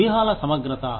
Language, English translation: Telugu, Integrity of tactics